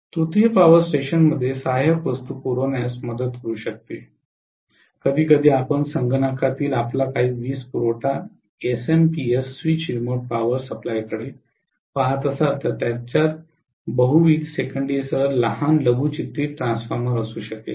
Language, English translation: Marathi, The tertiary might help in supplying the auxiliaries in the power station, sometimes if you look at some of your power supplies in the computer SMPS switch remote power supply they may have small miniaturized transformer with multiple secondaries